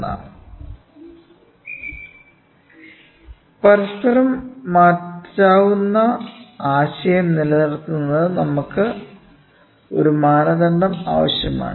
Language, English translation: Malayalam, So, for maintaining the interchangeability concept we need to have a standard